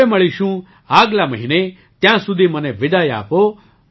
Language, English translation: Gujarati, We'll meet next month, till then I take leave of you